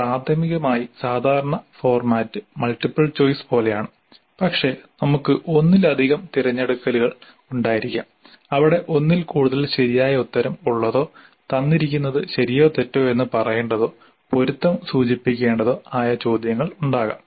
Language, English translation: Malayalam, Primarily the typical format is like multiple choice but we could also have multiple selections where there is more than one right answer or true or false statements or matching blocks